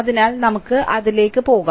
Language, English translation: Malayalam, So, let us go to that